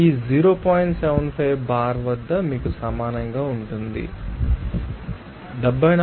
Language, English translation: Telugu, 75 bar will be equal to you know 74